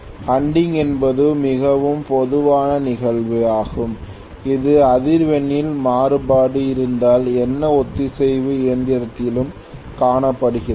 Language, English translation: Tamil, Hunting is a very very common phenomenon that is seen in any synchronous machine if there is a variation in the frequency